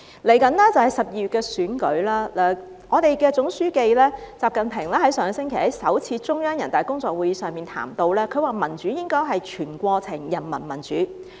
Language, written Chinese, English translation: Cantonese, 接着便是12月的選舉，我們的總書記習近平上星期在首次中央人大工作會議上談及，民主應該是全過程人民民主。, Then there will be the election in December . Our General Secretary XI Jinping said at the first Central working meeting of the National Peoples Congress last week that democracy should be whole - process peoples democracy